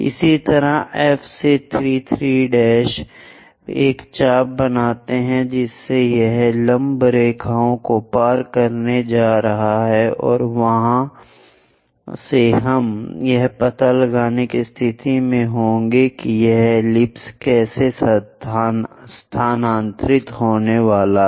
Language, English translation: Hindi, Similarly, 3 3 prime from F make an arc, so that is going to intersect these perpendicular lines and from there we will be in a position to find out how this ellipse is going to move